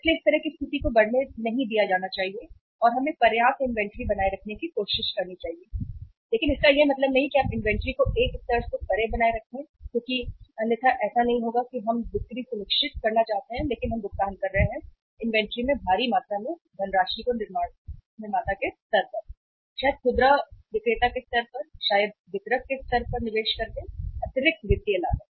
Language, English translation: Hindi, So this kind of situation should not be allowed to come up and we should try to maintain sufficient inventory but it does not mean that you maintain the inventory beyond a level because otherwise what will happen that means we want to ensure the sales but we are paying the extra financial cost by investing huge amount of the funds in the inventory maybe at the manufacturer’s level, maybe at the retailer’s level, maybe at the distributor’s level